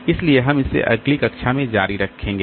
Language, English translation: Hindi, So, we'll continue with this in the next class